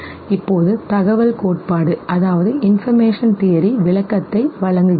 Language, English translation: Tamil, Now the information theory provides explanation to